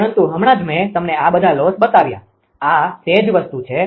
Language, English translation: Gujarati, But just I showed you all the losses; same thing